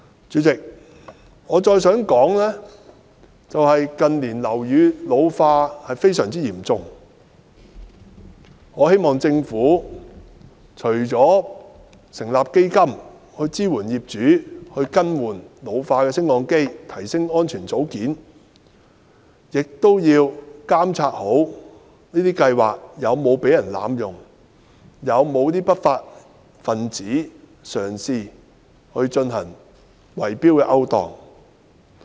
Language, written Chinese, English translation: Cantonese, 主席，鑒於近年樓宇老化問題非常嚴重，我希望政府除了成立基金支援業主更換老化的升降機及提升安全組件外，亦要做好監察工作，確保這些計劃不會被濫用，以及不會有不法分子嘗試進行圍標勾當。, President given the extremely serious ageing of buildings in recent years I hope that the Government will set up a fund to subsidize owners to replace aged lifts and enhance safety components as well as properly play its monitoring role to ensure that the relevant schemes will not be abused and that no lawbreakers will attempt to engage in illegal bid - rigging activities